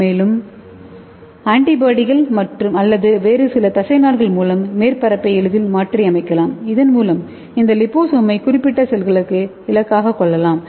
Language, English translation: Tamil, And we can easily modify the surface by antibody or some other ligands so that we can target this liposome and it is having low antigencity